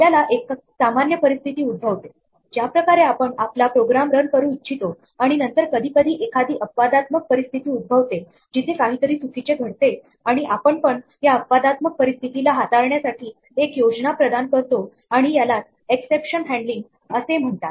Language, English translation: Marathi, We encounter a normal situation, the way we would like our program to run and then occasionally we might encounter an exceptional situation, where something wrong happens and what we would like to do is provide a plan, on how to deal with this exceptional situation and this is called exception handling